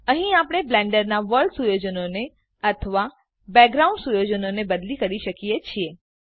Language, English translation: Gujarati, Here we can change the world settings or background settings of Blender